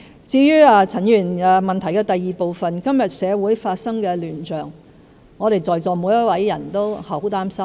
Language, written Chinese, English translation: Cantonese, 至於陳議員質詢的第二部分，今天社會發生的亂象，我們在座每一位都感到十分擔心。, As to the second part of Mr CHANs question all of us present are extremely worried about the chaos in society today